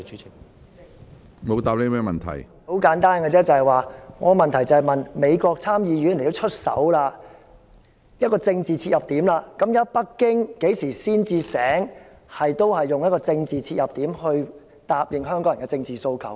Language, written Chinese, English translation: Cantonese, 很簡單而已，我的急切質詢是連美國參議院也出手，這是一個政治切入點，北京何時才會醒覺，用政治切入點答應香港人的政治訴求？, It is very simple . My urgent question is that even the United States Senate got involved at this political starting point when will Beijing awaken and answer Hong Kong peoples political demands at a political starting point?